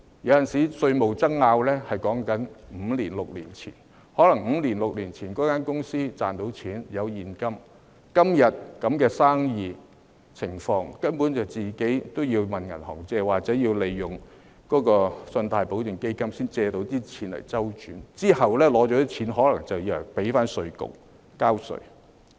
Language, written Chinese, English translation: Cantonese, 有時候，稅務爭議所牽涉的是五六年前的事；可能五六年前，公司賺錢有現金，但今天這樣的生意環境，根本已經要向銀行借貸，或利用信貸保證基金，才能借錢周轉，借錢後可能便要向稅務局交稅。, Sometimes a tax dispute involves matters that happened five or six years ago . Five or six years ago the companies might have profits and hence cash but in such a business environment today they already need to take out bank loans or make use of loan guarantee funds to borrow money to secure cash flow . However immediately upon receipt of the loan they may need to pay tax to IRD